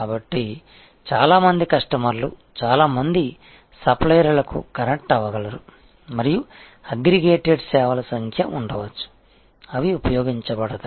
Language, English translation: Telugu, So, lot of customers can connect to lot of suppliers and there can be number of aggregated services, which will be utilized